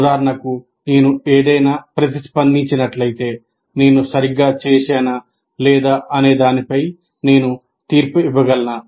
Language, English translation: Telugu, For example, if I have responded to something, am I able to make a judgment whether I have done it correctly or not